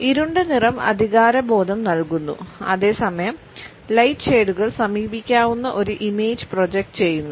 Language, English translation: Malayalam, A darker colors convey a sense of authority whereas, lighter shades project an approachable image